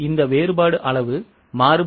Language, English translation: Tamil, This difference is volume variance